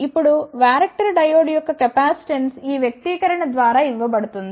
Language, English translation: Telugu, Now, the capacitance of the varactor diode is given by this expression